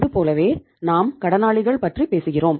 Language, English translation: Tamil, Similarly, we were talking about the debtors